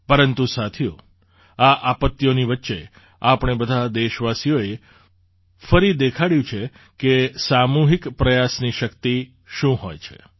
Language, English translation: Gujarati, But friends, in the midst of these calamities, all of us countrymen have once again brought to the fore the power of collective effort